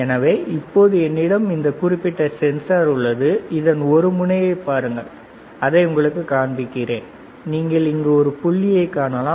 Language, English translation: Tamil, So now we have this particular sensor, we have nothing but if you see the tip it a tip is so, let me show it to you so that you can see the tip, yes, yes, you can see the dot here right